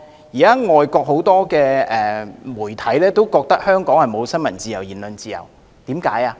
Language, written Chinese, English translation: Cantonese, 現在外國很多媒體都以為香港沒有新聞自由和言論自由，為何如此？, Many foreign media now think that Hong Kong has no freedom of the press and freedom of speech at all . Why is that so?